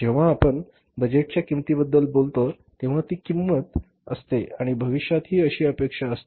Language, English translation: Marathi, So, when you talk about the budgeted cost, it is a standard cost and that is expected to happen in future